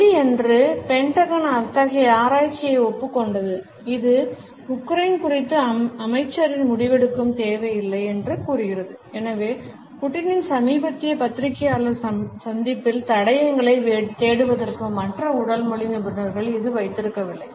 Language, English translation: Tamil, On Friday, the Pentagon acknowledged such research which says it has not made it difference need minister’s decision making on Ukraine So, that has not kept other body language experts for looking for clues in Putin’s must recent press conference